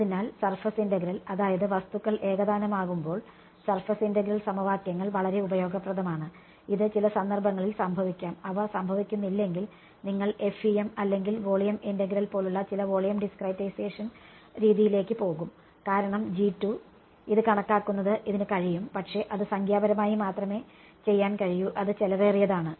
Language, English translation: Malayalam, So, surface integral that is what surface integral equations are very useful when that objects are homogenous, which can happen in some cases, if they do not happen then you will go to some volume discretization method like FEM or volume integral because calculating this G 2 it can be done, but it will it can be done numerically only which is expensive